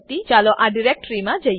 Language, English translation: Gujarati, Lets go to that directory